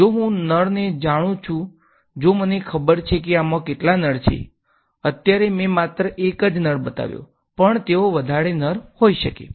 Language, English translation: Gujarati, If I know the tap if I know how many taps are in this, right now I have shown only one tap, but they could be more taps right